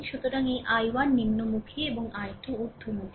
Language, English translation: Bengali, So, this I 1 is downwards right and this small i 2 upwards